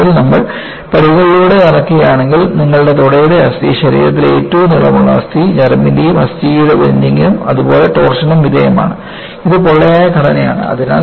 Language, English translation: Malayalam, Actually, if you walk in stairs, your thigh bone is the longest bone in the body; femur bone is subjected to bending, as well as torsion and, is a hollow structure